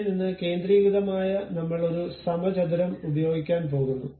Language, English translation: Malayalam, From there centered one I am going to use some arbitrary square